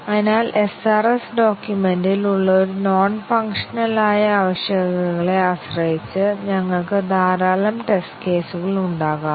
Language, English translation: Malayalam, So, depending on the non functional requirements that are there in the SRS document, we can have a large number of performance test cases